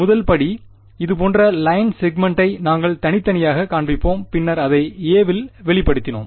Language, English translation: Tamil, First step was to we discretize the like line segment and then we expressed it as in a